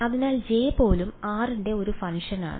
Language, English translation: Malayalam, So, even J is a function of r